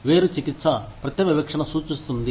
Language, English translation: Telugu, Disparate treatment refers to, direct discrimination